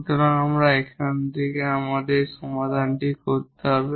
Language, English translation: Bengali, So, how to get this auxiliary equation